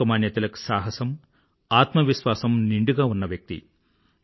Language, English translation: Telugu, Lokmanya Tilak was full of courage and selfconfidence